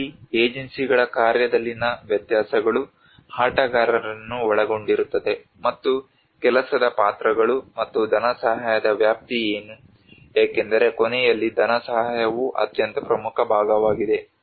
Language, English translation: Kannada, Here the differences in function of agencies plays players involved and what is the scope of work roles and funding, because at the end of the day, funding is the most important part